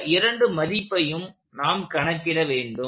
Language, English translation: Tamil, These are two quantities we have to find